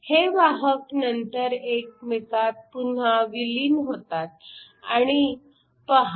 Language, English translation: Marathi, These carriers can then recombine and see that